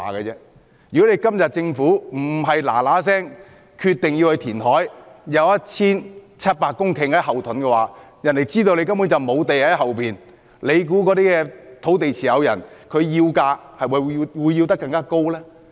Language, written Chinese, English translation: Cantonese, 如果今天政府不是立即決定填海，以 1,700 公頃土地作為後盾，而是一直讓別人知道政府根本沒有土地儲備，大家猜猜那些土地持有人會否索價更高呢？, If the Government does not announce immediately that it will go ahead with the reclamation plan and make use of the 1 700 hectares of land as a backup let us guess whether or not those landowners will ask for higher prices in the knowledge that the Government virtually has no land reserve at all?